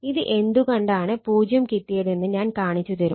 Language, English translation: Malayalam, I will show why it is 0, if you do it, it will become 0